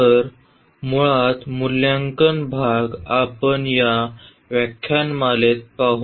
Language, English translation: Marathi, So, basically the evaluation part we will look into in this lecture